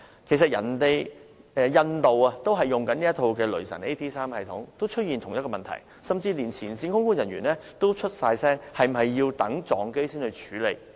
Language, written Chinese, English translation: Cantonese, 其實，印度空管系統也使用"雷神 AT3" 系統，亦出現同樣問題，甚至連前線空管人員都發聲，質疑是否要等到空難發生才去處理？, In fact similar problems are found in airports in India where the Raytheon AT3 system is used . Even frontline air traffic controllers have voiced the problem questioning their superiors if nothing will be done until an aviation accident happens?